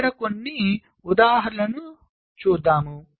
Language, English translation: Telugu, so let us look at some examples here